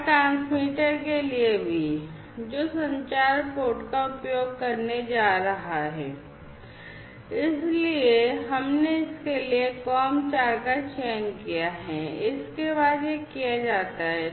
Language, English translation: Hindi, And also for the transmitter, which communication port is going to be used so we have selected COM 4 for itso, this is done and thereafter